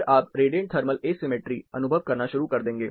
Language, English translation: Hindi, Then, you have, you are starting to experience something called Radiant Thermal Asymmetry